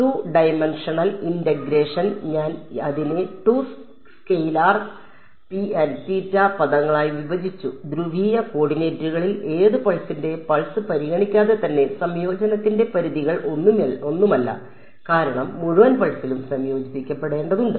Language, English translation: Malayalam, So, 2 dimensional integration I have broken it down into 2 scalar terms rho and theta in polar coordinates no the limits of integration has a same regardless of which pulse of and because have to integrate over the whole pulse